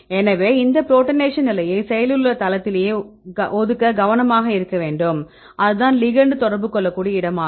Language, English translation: Tamil, So, we need to be careful to assign all these protonation state at the active site right that is the place where the ligand can interact